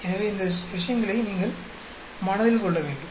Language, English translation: Tamil, So, you need to keep these points in mind